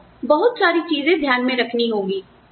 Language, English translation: Hindi, You need to keep, so many things in mind